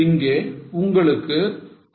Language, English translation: Tamil, So you get 65%